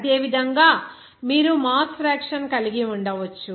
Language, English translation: Telugu, Similarly, you can have a mass fraction